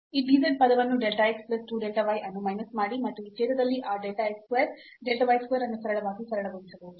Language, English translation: Kannada, Minus this dz term delta x plus 2 delta y, and this one can simply simplify that delta x square delta y square in this denominator